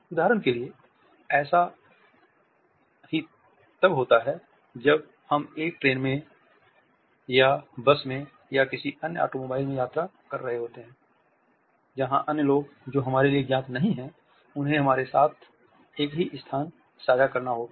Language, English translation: Hindi, The same happens when we are traveling in a train, for example, or in a bus or in any other automobile, where other people who are not known to us have to share the same space with us